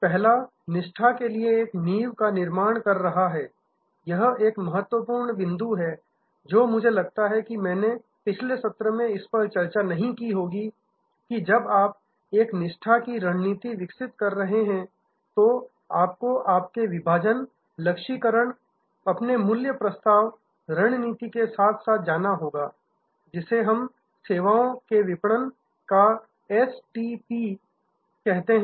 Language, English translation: Hindi, First is building a foundation for loyalty, this is an important point I think I might not have discussed it in the previous session that when you are developing a loyalty strategy, you have to go hand in hand with your Segmentation, Targeting and your value proposition strategy, which we call the STP of services marketing